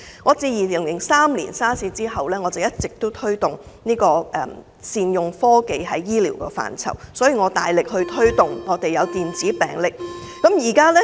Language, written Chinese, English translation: Cantonese, 我自2003年 SARS 後，一直推動在醫療範疇善用科技，所以我大力推動電子病歷。, I have been promoting after the outbreak of SARS in 2003 the use of technology in healthcare . I thus strongly encourage the use of electronic health records . Electronic health record systems have their merits